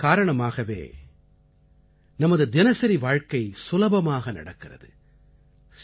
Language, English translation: Tamil, These are people due to whom our daily life runs smoothly